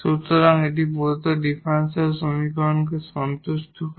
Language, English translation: Bengali, So, then this will be a general solution of the given differential equation